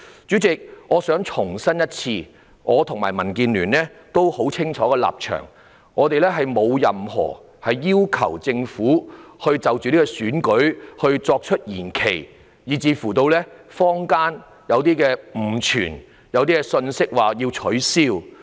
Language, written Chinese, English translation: Cantonese, 主席，我想重申，我和民主建港協進聯盟的立場十分清晰，我們並沒有要求政府就着這次選舉作出延期，這說法導致坊間流言四起，指政府有可能取消選舉。, President I would like to reiterate that the position of the Democratic Alliance for the Betterment and Progress of Hong Kong DAB and I is very clear . We have not requested the Government to postpone the coming Election which has nonetheless given rise to rumours in the community that the Government might call off the Election